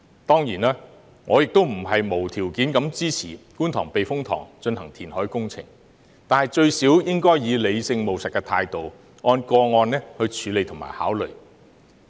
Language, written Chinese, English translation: Cantonese, 當然，我亦不是無條件地支持在觀塘避風塘進行填海工程，但最低限度也應以理性、務實的態度，按個案處理和考慮。, Of course I do not unconditionally support reclamation in the Kwun Tong Typhoon Shelter but at least it should be handled and considered on a case - by - case basis in a rational and pragmatic manner